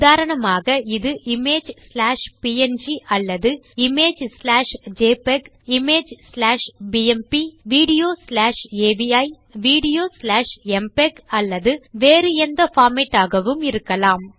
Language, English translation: Tamil, For example this can be image slash png or image slash jpeg, image slash bmp , video slash avi and video slash mpeg or some other format